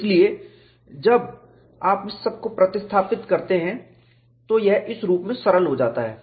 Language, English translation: Hindi, So, when you substitute all this, this simplifies to this form